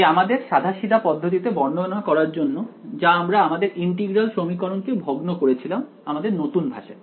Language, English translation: Bengali, Now I want to describe our naive approach that we did of discretizing the integral equation in the new language